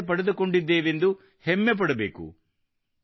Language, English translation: Kannada, We should be proud to be skilled